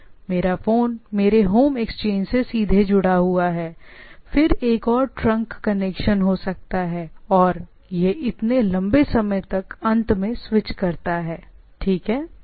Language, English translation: Hindi, So, it will be first the first the phone my phone is directly connected to my home exchange, then there can be other trunk connection and go and so on so forth, it go on switching to the so long to the end, right